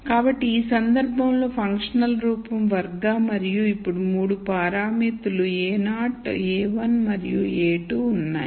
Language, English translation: Telugu, So, in this case the functional form is quadratic and there are 3 parameters now a naught a 1 and a 2